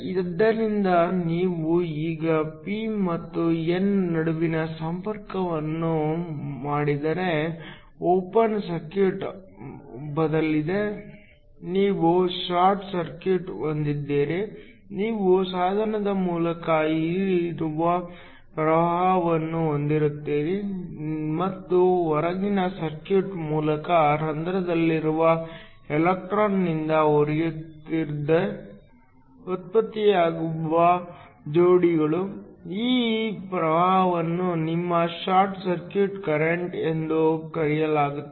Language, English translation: Kannada, So, If you now make the connection between the p and the n, so that instead of a open circuit you have a short circuit, you have a current that flows through the device and it flows through the outer circuit because of the electron in hole pairs that are generated, this current is called your short circuit current